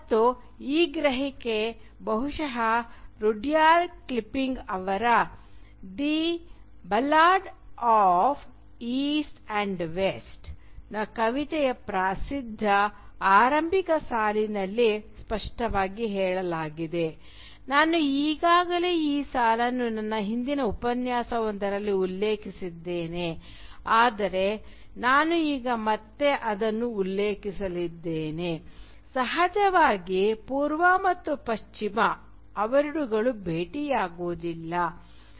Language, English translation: Kannada, And this perception is perhaps most clearly stated in that famous opening line of Rudyard Kipling’s poem “The Ballad of East and West”, I have already quoted this line in one of my earlier lectures but I am going to quote it again now, the line is of course: “East is East and West is West, and never the twain shall meet”